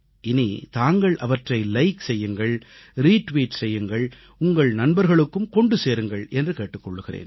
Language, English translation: Tamil, You may now like them, retweet them, post them to your friends